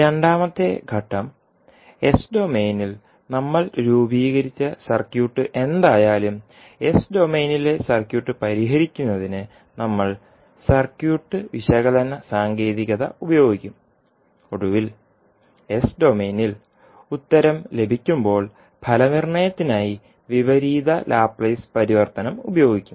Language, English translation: Malayalam, So, the second step will be that whatever the circuit we have formed in s domain we will utilize the circuit analysis technique to solve the circuit in s domain and finally, when we get the answer in s domain we will use inverse Laplace transform for the solution and finally we will obtain the solution in in time domain